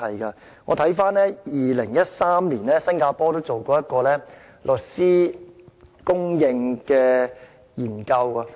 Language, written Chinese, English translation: Cantonese, 新加坡在2013年曾進行一項有關律師供應的研究。, Singapore conducted a study on the supply of lawyers in 2013